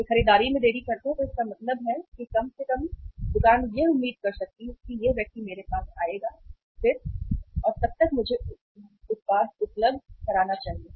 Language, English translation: Hindi, They delay purchase so it means at least the store can expect this person will again come back to me and by that time I should make the product available